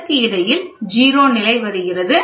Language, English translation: Tamil, And in between this comes a 0 level